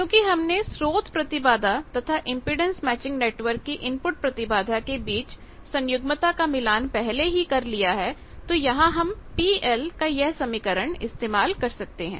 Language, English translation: Hindi, So, what is the, but as we have already conjugately matched this source impedance and input impedance of this impedance matching network, there we can use that expression that P e will be